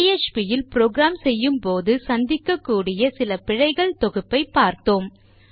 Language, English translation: Tamil, So we have got a small collection of errors that you might come across when you are programming in php